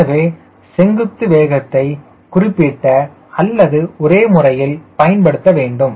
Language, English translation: Tamil, so vertical velocity we have to convert into a particular unit, consistent unit